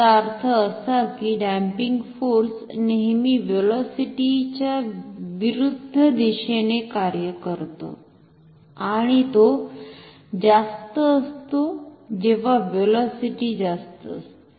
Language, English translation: Marathi, This means the damping torque should always act in the direction opposite to the velocity and it should be higher, when the velocity is higher